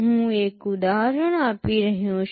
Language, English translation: Gujarati, I am giving one example